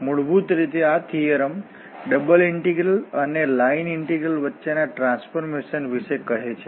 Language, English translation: Gujarati, Basically, this theorem tells about the transformation between double integrals and line integrals